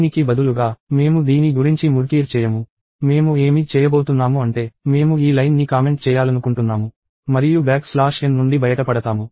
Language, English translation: Telugu, So, instead, I am not going to murkier on with this; what I am going to do is I am just going to comment this line and get rid of the back slash n